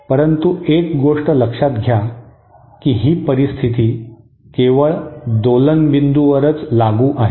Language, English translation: Marathi, But note one thing that this condition is applicable only at the point of oscillation